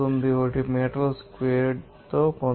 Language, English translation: Telugu, 00491 meter squared